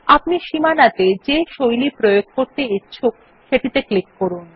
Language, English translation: Bengali, Click on one of the styles you want to apply on the borders